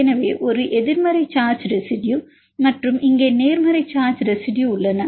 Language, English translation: Tamil, So, there is a negative charge residue and here positive charge residues